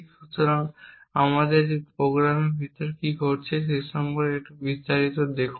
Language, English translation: Bengali, So, let us look a little more in detail about what is happening inside this program